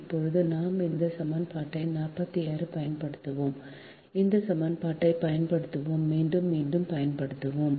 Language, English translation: Tamil, now we will use this equation forty six, we will use this